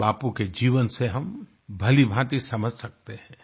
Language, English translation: Hindi, We can understand this from Bapu's life